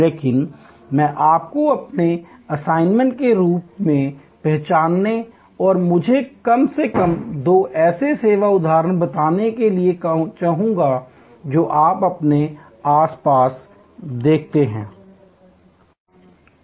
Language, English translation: Hindi, But, I would like you as your assignment to identify and tell me at least two such service instances that you see around you